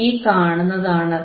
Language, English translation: Malayalam, And what we see here